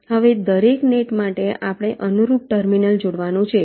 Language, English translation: Gujarati, now, for every net, we have to connect the corresponding terminal